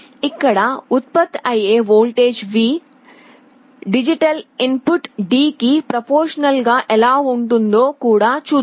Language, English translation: Telugu, Let us see how this voltage V which is generated here, is proportional to the digital input D